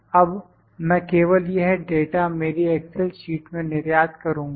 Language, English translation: Hindi, Now, I will just export this data to my excel sheet